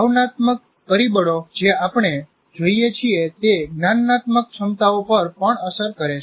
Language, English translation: Gujarati, For example, there are emotional factors that we see will also influence our cognitive abilities